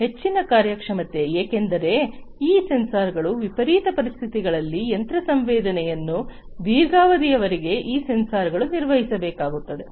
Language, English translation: Kannada, High performing because, you know, these sensors will have to perform for long durations of machine use under extreme conditions these sensors will have to perform